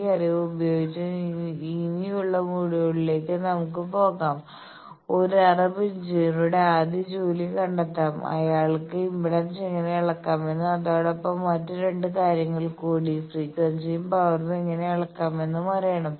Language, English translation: Malayalam, With this knowledge we will proceed to the later modules for finding the first job of an Arab engineer that he should know how to measure impedance also he should know how to measure 2 other things frequency and power